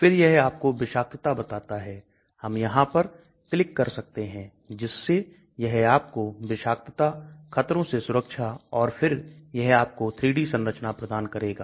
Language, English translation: Hindi, Then it gives you toxicity, we can click on this so it can give you toxicity, safety hazards then it gives you a 3D confirmation